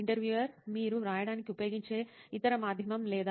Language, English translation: Telugu, Any other medium that you used to write or